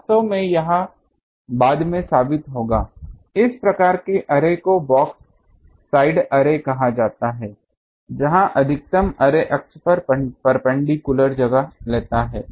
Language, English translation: Hindi, Actually this will prove later, this type of array the first type is called box side array where the maximum takes place perpendicular to the array axis